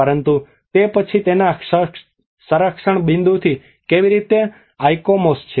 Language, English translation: Gujarati, But then from the conservation point of it how the ICOMOS